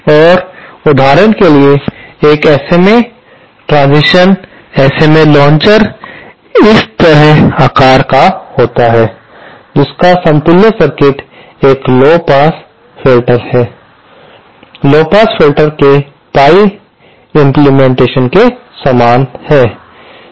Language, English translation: Hindi, And for example, an SMA transition, the SMA launcher is shaped like this and its equivalent circuit is like a lowpass filter, pie implement of a lowpass filter